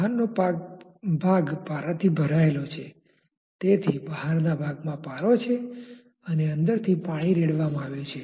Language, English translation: Gujarati, The outside is say filled up with mercury, so there is mercury in the outside and water is being poured from inside